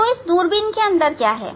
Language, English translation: Hindi, Now, what is the things inside the telescope